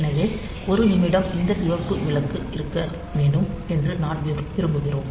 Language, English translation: Tamil, So, we want that for 1 minute this red light should be on